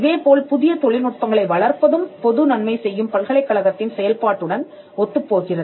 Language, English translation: Tamil, Similarly, developing new technologies was also seeing as being in alignment with the function of a university to do public good